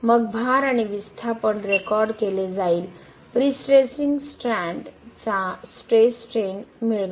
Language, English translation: Marathi, Then the load and displacement will be recorded, get the stress strain behaviour of the prestressing strands